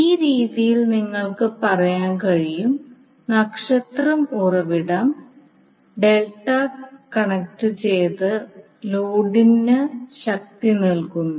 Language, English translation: Malayalam, So in this way you can say that the star source is feeding power to the delta connected load